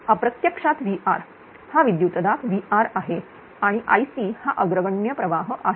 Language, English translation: Marathi, This is actually VR; this voltage is VR and leading current it is I c right